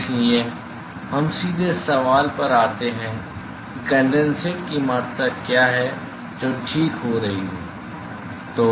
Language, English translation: Hindi, So, therefore, we directly get to the question of what is the amount of condensate that is being formed ok